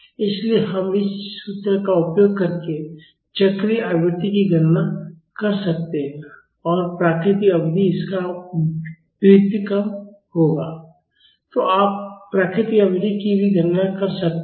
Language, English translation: Hindi, So, we can calculate the cyclic frequency using this formula and natural period will be the reciprocal of this; so, you can calculate the natural period also